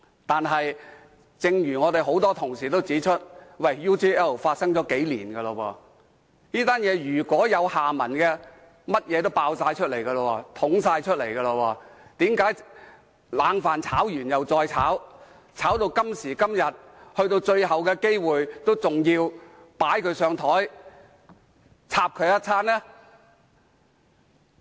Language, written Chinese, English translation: Cantonese, 但是，正如我們很多同事都指出 ，UGL 事件是在數年前發生的，如果還有下文，一切應已曝光，為何冷飯炒完又再炒，炒到今時今日，去到最後機會，仍要"擺他上檯"，"插"他一番？, But as many Honourable colleagues have pointed out the UGL incident occurred a few years ago and if there were any later development they should have taken place . How come the same old stuff has been mentioned time and again? . Today they make use of the last chance to put him on the spot and attack him once again